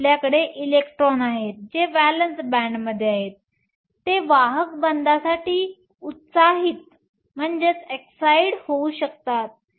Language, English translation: Marathi, So, you have electrons that are there in the valence band, these can be excited to the conduction band